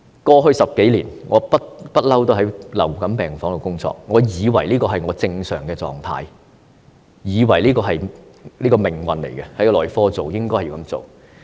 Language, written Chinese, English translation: Cantonese, 過去10多年，我一直都在流感病房內工作，我以為病房爆滿是正常的狀態，以為這是命運，在內科病房工作的情況便是這樣。, Over the past decade I have been working in medical wards for influenza patients and I thought that overcrowdedness in hospital wards was normal medical wards were destined to be overcrowded and it was the normal situation in medical wards